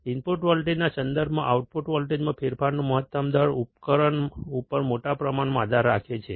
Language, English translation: Gujarati, Maximum rate of change of output voltage with respect to the input voltage, depends greatly on the device